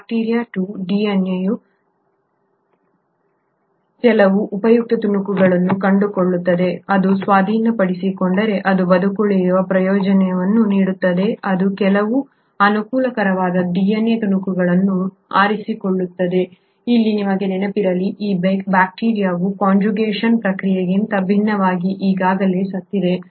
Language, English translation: Kannada, The bacteria 2 finds there are a few useful pieces of DNA which if it acquires will give it a survival advantage, it ends up picking a few of those favourable DNA fragments; mind you here, this bacteria has already died unlike in the process of conjugation